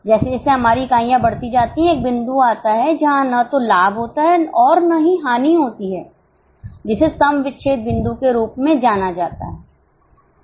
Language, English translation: Hindi, As our units increase, a point comes where there is neither profit nor loss that is known as break even point